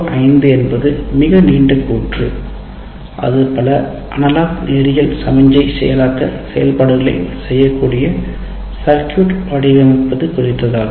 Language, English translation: Tamil, O5 is a much longer statement where design circuits that perform a whole bunch of analog linear signal processing functions